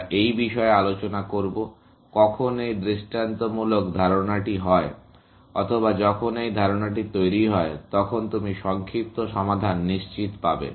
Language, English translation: Bengali, We will discuss this as to, when is this idea sound; or when this is idea, guarantee to give you the shorter solution